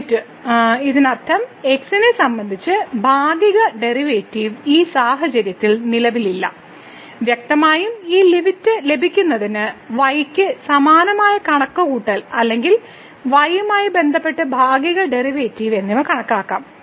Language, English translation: Malayalam, So, the limit; that means, the partial derivative with respect to does not exist in this case and obviously, the similar calculation we can do for or the partial derivative with respect to to get this limit and we will find that that the partial derivative with respect to also does not exist